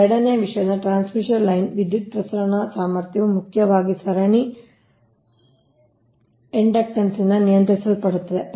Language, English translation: Kannada, therefore this your power transmission capacity of the transmission line is mainly governed by the series inductance right